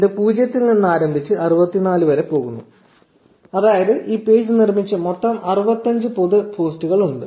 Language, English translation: Malayalam, So, it starts from 0 and goes until 64 meaning that there are total 65 public posts made by this page